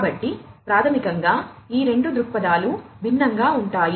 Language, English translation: Telugu, So, basically these two perspectives are different